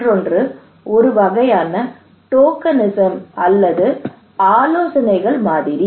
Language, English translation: Tamil, Another one is kind of tokenism okay or consultations